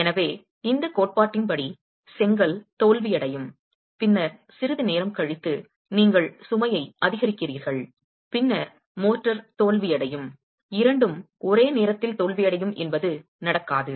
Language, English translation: Tamil, So according to this theory, brick will fail and then after some time you increase the load and then the motor will fail, which does not happen